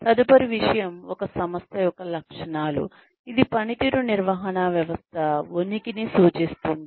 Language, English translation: Telugu, The next thing is the characteristics of an organization, that indicate the existence of a performance management system